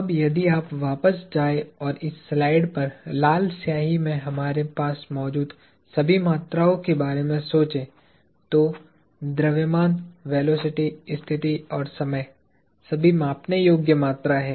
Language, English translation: Hindi, Now, if you go back and think about all the quantities that we have in red ink on this slide, mass, velocity, mass, position, velocity and time are all measurable quantities